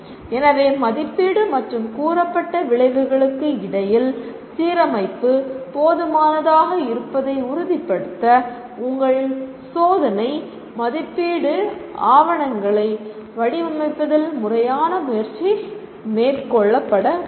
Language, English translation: Tamil, So a systematic effort should be made in designing your test papers to ensure there is adequate alignment between assessment and the stated outcomes